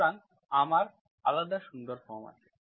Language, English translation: Bengali, So I have separate nice forms